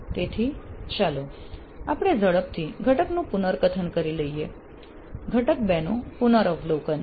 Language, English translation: Gujarati, So let us quickly have a recap of the module 2